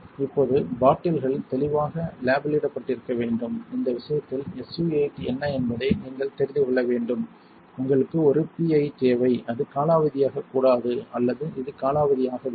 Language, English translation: Tamil, Now, bottles should be clearly labelled you have to know what it is in this case SU 8 you need a PI it should not be expired either this has not expired